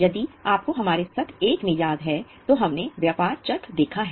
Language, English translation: Hindi, If you remember in our session one, we have seen the business cycle